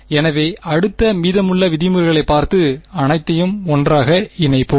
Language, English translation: Tamil, So, next we will look at the remaining terms and put them all together